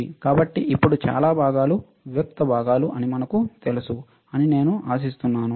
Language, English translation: Telugu, So, now I hope that we know most of the components are discrete components